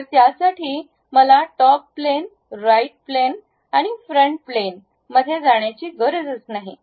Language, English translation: Marathi, So, I do not have to really jump on to top plane, right plane and front plane